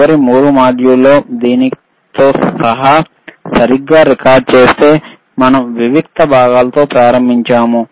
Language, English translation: Telugu, In the in the last 3 modules, if I if I correctly record including this one, is we have started with the discrete components